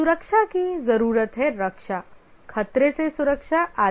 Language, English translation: Hindi, The safety needs are security, protection from danger and so on